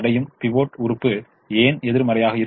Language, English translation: Tamil, why should the pivot element be negative